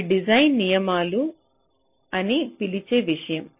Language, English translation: Telugu, so it is something which i have called design rules